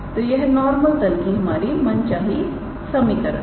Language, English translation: Hindi, So, this is the required equation of the normal plane